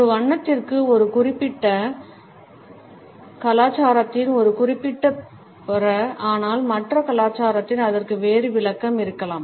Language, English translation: Tamil, A color may have a particular meaning in a particular culture, but in the other culture it may have a different interpretation